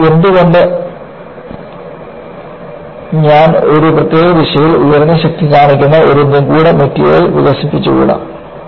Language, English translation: Malayalam, So, why not, I develop an esoteric material, which display higher strength in a particular direction